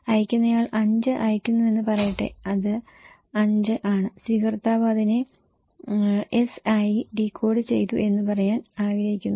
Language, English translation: Malayalam, Let ‘s say sender is sending 5, want to say that okay this is 5 some code and receiver decoded it as S